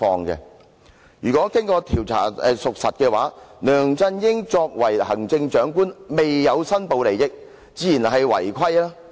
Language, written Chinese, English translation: Cantonese, 若經調查屬實，梁振英作為行政長官未申報利益，自然是違規行為。, If these facts are verified after investigation LEUNG Chun - ying has certainly breached the law for failing to declare interests in the capacity as the Chief Executive